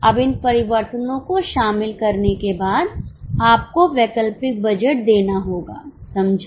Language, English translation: Hindi, Now after incorporating these changes, you have to give alternate budget